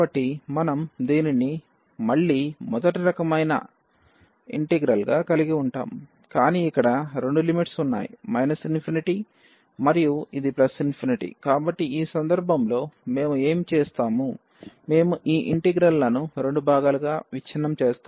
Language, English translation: Telugu, So, if we have this again the first kind integral, but we have the both the limits here minus infinity and this plus infinity so, in this case what we will do we will break this integral into two parts